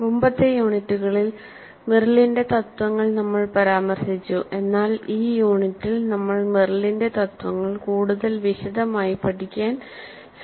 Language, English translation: Malayalam, In earlier units we referred to Meryl but in this unit we will try to explore Meryl's principles in greater detail